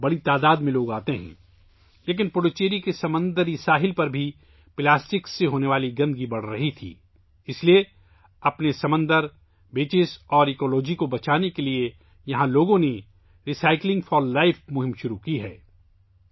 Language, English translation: Urdu, But, the pollution caused by plastic was also increasing on the sea coast of Puducherry, therefore, to save its sea, beaches and ecology, people here have started the 'Recycling for Life' campaign